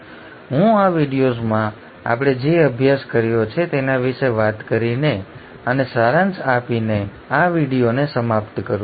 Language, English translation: Gujarati, So let me just wind up this video by talking about and summarising what we studied in this video